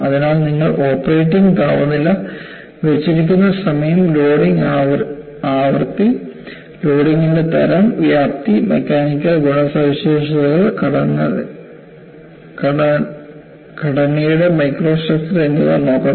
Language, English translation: Malayalam, So, you have to look at the operating temperature, hold time, loading frequency, type and magnitude of loading, mechanical properties and microstructure of the component